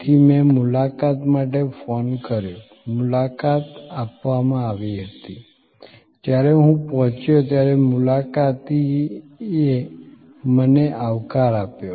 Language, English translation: Gujarati, So, I called for an appointment, an appointment was given, when I arrived the receptionist greeted me